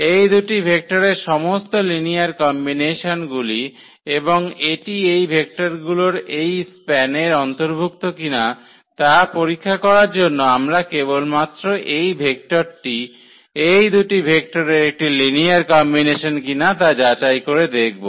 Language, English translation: Bengali, All linear combinations of these two vectors and to check whether this belongs to this a span of this these vectors on we will just check whether this vector is a linear combination of these two vectors or not